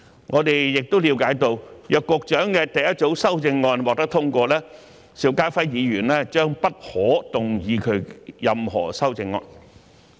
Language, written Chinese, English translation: Cantonese, 我們亦了解到，若局長的第一組修正案獲得通過，邵家輝議員將不可動議其任何修正案。, It is noted that if the Secretarys first group of amendments are passed Mr SHIU Ka - fai may not move any of his amendments